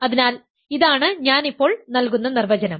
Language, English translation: Malayalam, So, this is the definition that I will give now